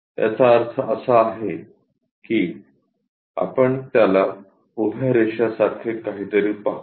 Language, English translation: Marathi, That means, we will see it something like a vertical lines